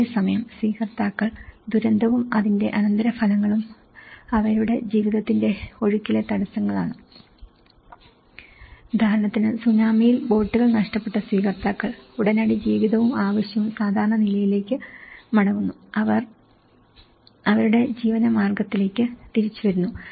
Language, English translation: Malayalam, Whereas, the recipients on the other hand both the disaster and its aftermath are disruptions in the flow of their lives, for instance, the recipients who have lost their boats in the tsunami for them, the immediate life and need is getting back to the normal, is getting back to their livelihood